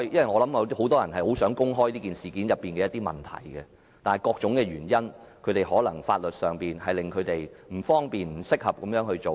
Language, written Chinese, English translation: Cantonese, 我相信很多人想公開事件中的一些問題，但由於各種原因，包括不受法律保障，他們不方便這樣做。, I believe many people want to reveal certain problems concerning the incident but due to various reasons including the lack of legal protection they are not in a position to do so